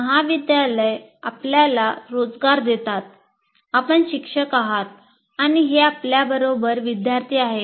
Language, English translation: Marathi, He's giving you employment, you're a teacher, and these are the students that are with you